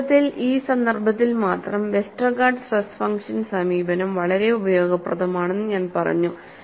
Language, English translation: Malayalam, In fact, only in this context, I said Westergaard stress function approach is quite useful